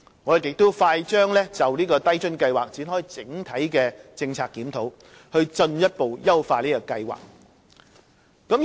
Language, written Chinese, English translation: Cantonese, 我們快將就低津計劃展開整體政策檢討，以進一步優化計劃。, We will launch an overall policy review of LIFA Scheme shortly to further refine the Scheme